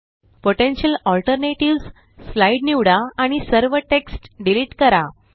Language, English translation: Marathi, Select the slide Potential Alternatives and delete all text